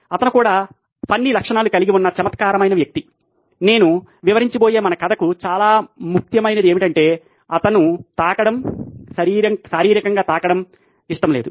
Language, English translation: Telugu, He was also a quirky guy he had funny characteristics about him, one of the most funny ones that is important for our story that I am going to describe is that he didn’t like to be touched, physically touched